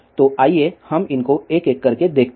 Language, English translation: Hindi, So, let us see these one by one